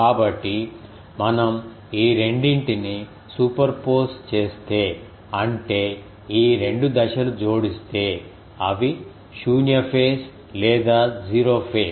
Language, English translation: Telugu, So, if we superpose these 2; that means, if these 2 um phases are added they will be a null phase or 0 phase